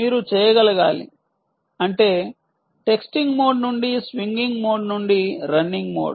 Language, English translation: Telugu, that means texting mode to shrinking mode to running mode